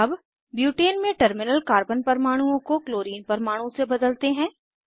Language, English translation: Hindi, Lets replace the terminal Carbon atoms in Butane structure with Chlorine atoms